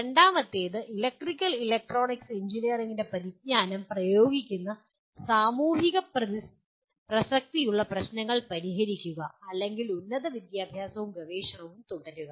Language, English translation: Malayalam, Second one, solve problems of social relevance applying the knowledge of electrical and electronics engineering and or pursue higher education and research